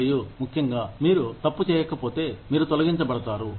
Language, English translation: Telugu, And especially, if you are not at fault in, you are being laid off